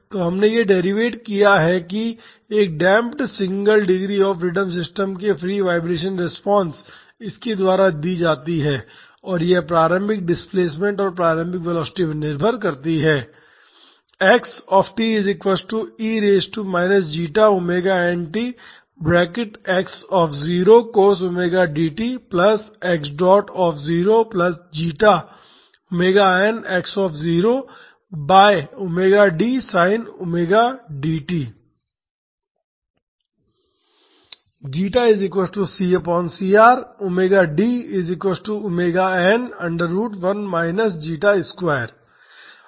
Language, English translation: Hindi, So, we have derived that the free vibration response of a damped single degree of freedom system is given by this and it depends upon the initial displacement and the initial velocity